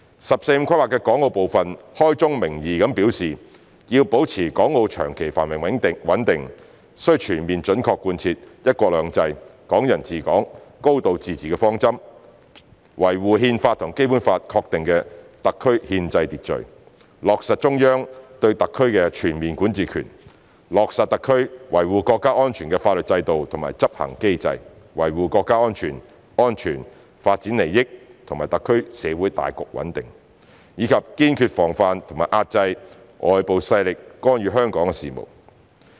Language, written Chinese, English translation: Cantonese, "十四五"規劃的港澳部分開宗明義表示要保持港澳長期繁榮穩定，須全面準確貫徹"一國兩制"、"港人治港"、"高度自治"的方針，維護《憲法》和《基本法》確定的特區憲制秩序，落實中央對特區的全面管治權，落實特區維護國家安全的法律制度和執行機制，維護國家主權、安全、發展利益和特區社會大局穩定，以及堅決防範和遏制外部勢力干預香港事務。, The parts concerning Hong Kong and Macao in the 14th Five - Year Plan state from the outset that to maintain the long - term prosperity and stability of Hong Kong and Macao it is imperative to fully and faithfully implement the principles of one country two systems Hong Kong people administering Hong Kong a high degree of autonomy; to uphold the constitutional order of SARs as enshrined in the Constitution and the Basic Law; to uphold the Central Authorities overall jurisdiction over SARs; to implement the legal system and enforcement mechanisms for SARs to safeguard national sovereignty security and development interests of the nation and the social stability of SARs; and to resolutely prevent and curb interference by external forces in the affairs of Hong Kong